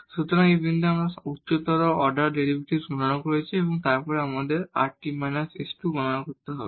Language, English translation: Bengali, So, this point we have computed all these higher order derivatives and then we have to compute rt minus s square